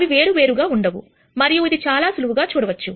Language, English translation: Telugu, They cannot be different and this is easy to see